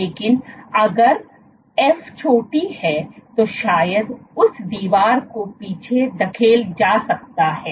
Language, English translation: Hindi, But if f is small then probably that wall can be pushed back